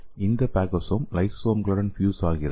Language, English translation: Tamil, And this phagosome will fuse with the lysosomes okay